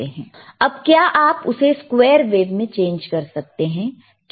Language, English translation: Hindi, Now, can you change it to square wave please